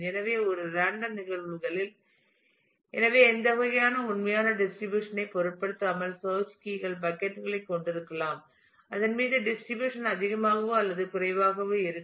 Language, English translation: Tamil, So, that in a random phenomena; so, that irrespective of what kind of actual distribution the search keys may have the buckets over which the distribute will be more or less the same